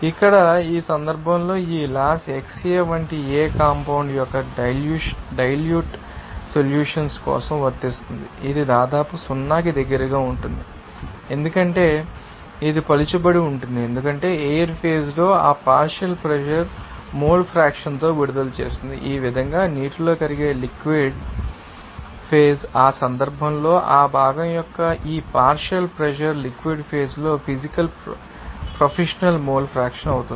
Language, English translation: Telugu, Here in this case, listen this law will apply for dilute solutions of any compound like it here that is xA that almost will be close to you know 0 because it is dilute you can see that will release that partial pressure in the gaseous phase with the mole fraction in the liquid phase that is air dissolved in water like this so, in that case, this partial pressure of that component will physical to you know that will be you know professional to that you know that mole fraction in the liquid phase